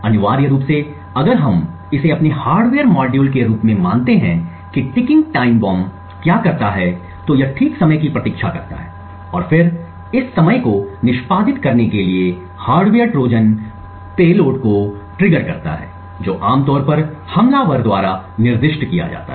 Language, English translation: Hindi, Essentially if we consider this as our hardware module what a ticking time bomb trigger does is that it waits for a fix time and then triggers the hardware Trojans payload to execute this time is typically specified by the attacker